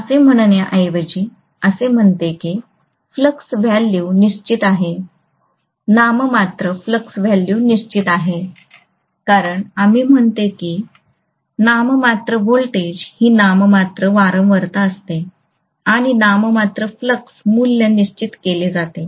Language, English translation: Marathi, I would say rather than saying then flux value is fixed nominal flux value is fixed, because we say nominal voltage is this nominal frequency is this, and nominal flux value is fixed